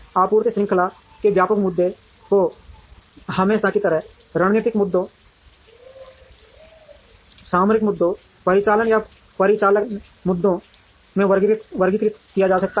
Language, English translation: Hindi, Broad issues in supply chain as usual can be categorized into strategic issues, tactical issues and operating or operational issues